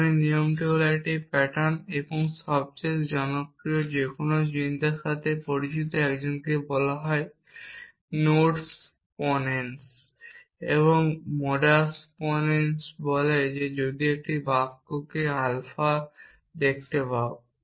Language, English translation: Bengali, Rule of inference is a pattern and the most popular on that no thought the a familiar with is called nodes ponens and modus ponens says that if he can see a